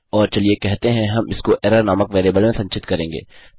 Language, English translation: Hindi, And lets say well store this in a variable called error